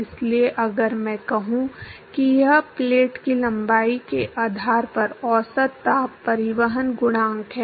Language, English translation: Hindi, So, if I say this is average heat transport coefficient based on the length of the plate